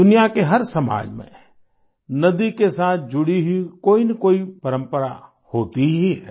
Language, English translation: Hindi, In every society of the world, invariably, there is one tradition or the other with respect to a river